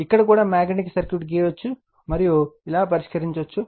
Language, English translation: Telugu, Here also we can draw the magnetic circuit, and we can solve like this right